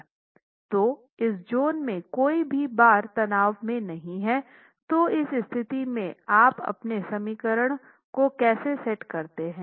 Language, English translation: Hindi, So in zone one, no bars are in tension and therefore in this situation, how do you set up your equations